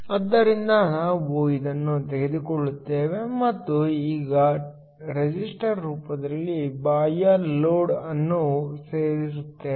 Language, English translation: Kannada, So, We take this and now add on an external load in the form of a resistor